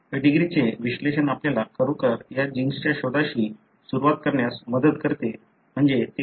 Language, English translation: Marathi, The pedigree analysis really helps you to start with this gene hunt as to where it is